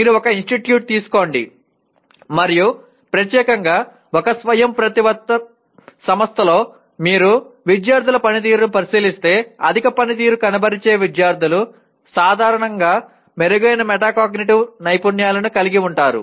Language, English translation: Telugu, You take an institute and let us say in an autonomous institute especially, if you look at the performance of the students, high performing students generally have better metacognitive skills